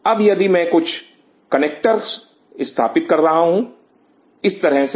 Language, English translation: Hindi, Now, if I put some connector like this